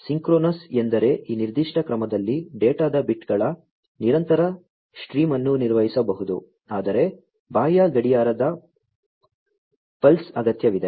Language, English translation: Kannada, Synchronous meaning that in this particular mode a continuous stream of bits of data can be handled, but requires an external clock pulse